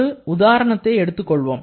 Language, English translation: Tamil, Let us take an example